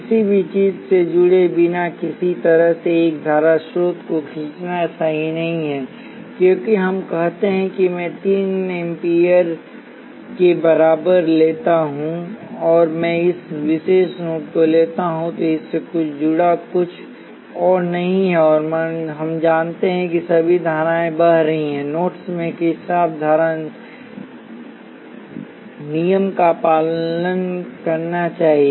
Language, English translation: Hindi, It is not correct to draw a current source like this without anything connected to it, because let us say I take I equals 3 amperes, and if I take this particular node there is nothing else connected to it and we know that all the currents flowing into a nodes should obey Kirchhoff current law